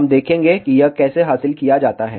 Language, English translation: Hindi, We will see how this is achieved